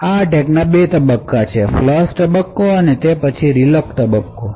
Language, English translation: Gujarati, Essentially the attacker has 2 phases; there is a flush phase and then there is a reload phase